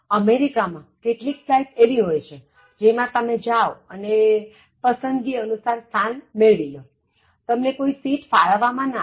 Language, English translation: Gujarati, So, in the US, so you have some flights in which you just go and occupy your seats as per your preference, so no seats will be allotted to you